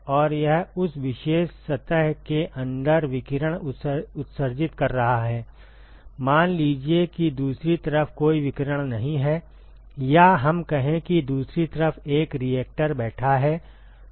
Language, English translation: Hindi, And it is emitting radiation on the inside of that particular surface, let us say that there is no radiation on the other side, or let us say there is a reactor sitting on the other side